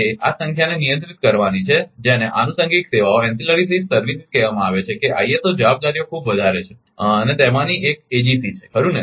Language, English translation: Gujarati, The ISO has to control in number of so, called ancillary services, that ISO responsibility is much more and one of which is AGC right